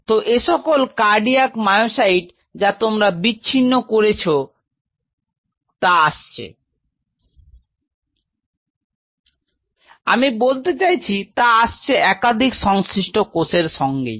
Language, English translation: Bengali, So, these cardiac myocytes what you have isolated are coming from a not I mean it comes from we more than several surrounding cell